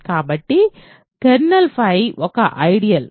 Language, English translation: Telugu, So, what is an ideal